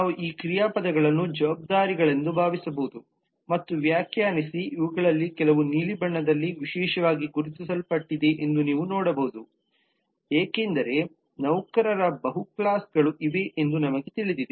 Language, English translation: Kannada, so if we just define that then these verbs we can now think of them as responsibilities and you will see that some of these are marking in blue especially these ones we know that there are multiple categories of employees